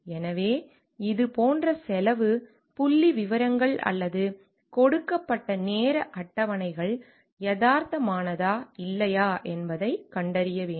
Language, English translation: Tamil, So, like this we have to find out at the cost figures or the time schedules given are realistic or not